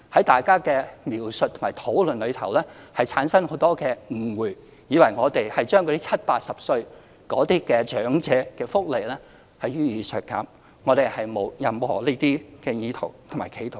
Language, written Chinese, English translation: Cantonese, 大家的描述和討論容易產生很多誤會，誤以為當局要削減70歲、80歲長者的福利，但我們並無這些意圖和企圖。, Such description and discussion of Members may lead to the misunderstanding that the authorities are cutting the benefits for elderly aged between 70 and 80 but we have no such intent and make no attempt to do so